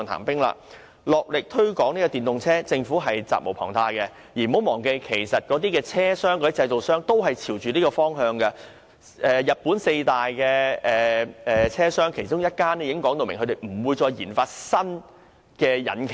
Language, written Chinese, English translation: Cantonese, 大力推廣電動車，政府責無旁貸，而政府亦不要忘記，汽車製造商其實亦正朝着這方向發展，日本四大汽車製造商之一已表明不會再為私家車研發新引擎。, The Government is duty - bound to promote EVs with vigorous efforts . And the Government should not forget that automobile manufacturers are actually developing in this direction . One of the four major automobile manufacturers in Japan has already indicated clearly that it will no longer develop any new engines for private cars